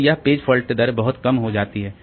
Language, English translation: Hindi, So, that's a very low rate of page fault